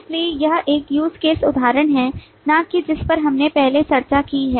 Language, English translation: Hindi, So this is an use case example, not one which we have discussed earlier